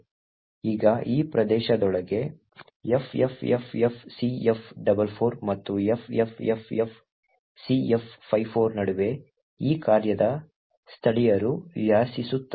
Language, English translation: Kannada, Now within this particular region between ffffcf44 and ffffcf54 is where the locals of this particular function reside